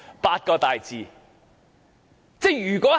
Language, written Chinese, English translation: Cantonese, 八個大字。, Ha ha what a remark